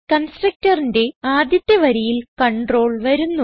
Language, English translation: Malayalam, The control comes to the first line in the constructor